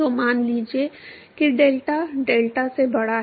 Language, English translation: Hindi, So, suppose if delta is greater than deltat